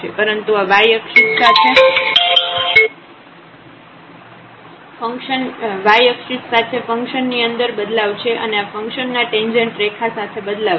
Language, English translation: Gujarati, But, along this y axis this is the change in the function and this is the change in the tangent line of the function